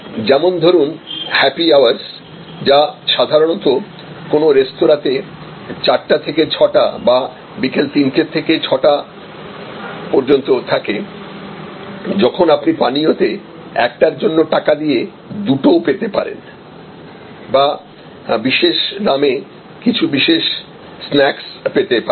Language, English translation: Bengali, So, like happy hours, which is usually between 4 PM and 6 PM or 3 PM and 6 PM in a restaurant may provide you 2 for 1 type of deal in drinks or it can provide you certain special snacks at special prices and so on